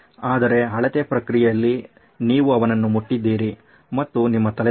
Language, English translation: Kannada, But in the process of measuring you touched him and off went your head